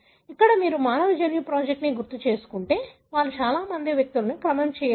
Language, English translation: Telugu, Here, if you recall the human genome project, they did not sequence many individuals